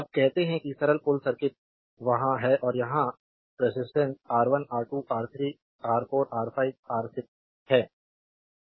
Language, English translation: Hindi, Now say simple bridge circuit is there and here you have resistance R 1, R 2, R 3, R 4, R 5, R 6